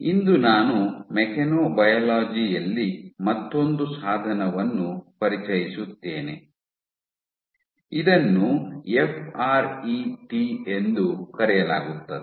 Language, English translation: Kannada, Today I would introduce another tool in mechanobiology, this is called FRET